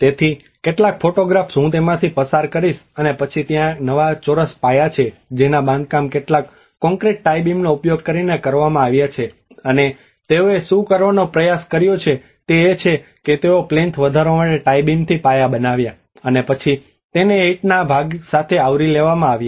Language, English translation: Gujarati, So some of the photographs I will go through it and then so there is a new square bases which has been constructed using some concrete tie beams and what they tried to do is they made the bases with the tie beams to raise the plinth, and then they covered with the brick part of it